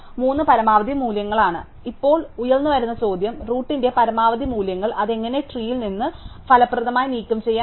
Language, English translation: Malayalam, So, now the question is if the maximum values at the root, how do we remove it from the tree efficiently